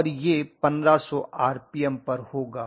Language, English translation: Hindi, Now the speed is given as 1200 RPM